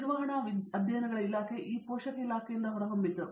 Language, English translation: Kannada, The department of management studies was born out of this parent department